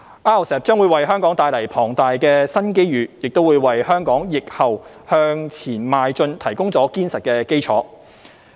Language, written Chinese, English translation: Cantonese, RCEP 將為香港帶來龐大的新機遇，亦為香港疫後向前邁進提供了堅實的基礎。, RCEP will bring immense new opportunities to Hong Kong and provide a solid foundation for Hong Kong to forge ahead after the epidemic